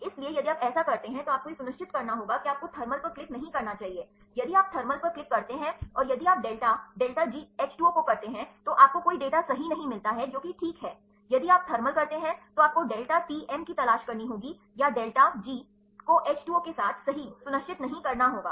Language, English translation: Hindi, So, if you do so you have to make sure that you should not click the thermal here, if you click the thermal and if you do that delta delta G H 2 O, you do not get any data right your denaturant that is fine, if you do the thermal, then you have to look for the delta Tm, or the delta delta G not with the H 2 O right the make sure ok